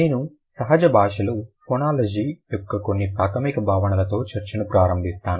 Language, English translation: Telugu, I begin the discussion with some basic concepts of phonology in natural language